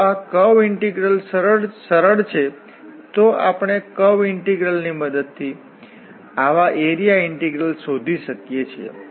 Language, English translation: Gujarati, If curve integral is easier, we can find such area integral with the help of the curve integral